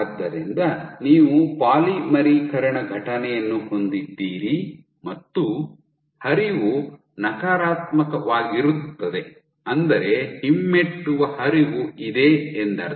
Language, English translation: Kannada, So, you have a polymerization event and flow is negative which means that there is retrograde flow